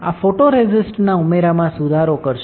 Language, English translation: Gujarati, This will improve the addition of photoresist